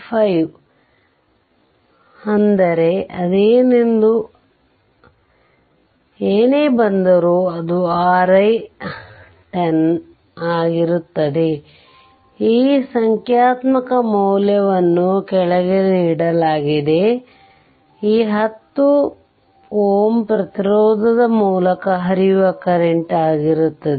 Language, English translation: Kannada, 5 plus 10 right into this 4 ampere, whatever it comes that will be your i 10; this ah this numerical value is given below right, that is your current through this 10 ohm resistance